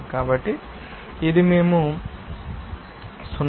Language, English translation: Telugu, So, this will give you that we are 0